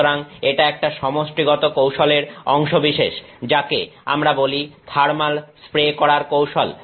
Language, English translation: Bengali, So, it is part of a set of techniques called the thermal spraying techniques